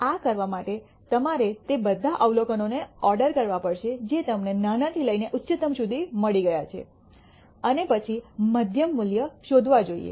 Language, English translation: Gujarati, For doing this you have to order all the observations that you have got from smallest to highest and then find out the middle value